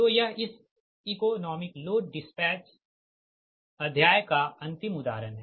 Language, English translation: Hindi, so this is the last example for this economic load dispatch chapter